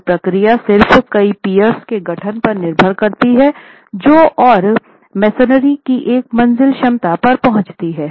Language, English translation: Hindi, This procedure just depends on the assembly of a number of piers which are sheer walls and arrive at the capacity of a story of masonry